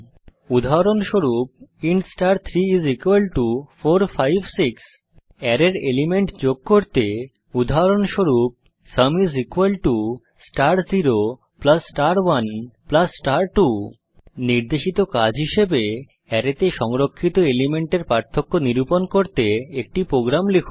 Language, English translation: Bengali, example int star[3]={4, 5, 6} To add the element of the array, example sum is equal to star 0 plus star 1 plus star 2 As an assignment, Write a program to calculate the difference of the elements stored in an array